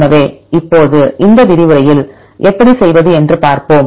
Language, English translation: Tamil, So, now in this lecture we will see how to use these alignments